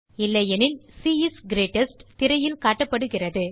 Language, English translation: Tamil, Otherwise c is greatest is displayed on the screen